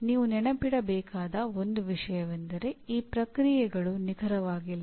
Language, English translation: Kannada, One thing you should remember these processes are not exact